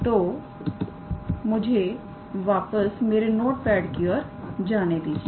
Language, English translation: Hindi, So, let me go back to my notepad ok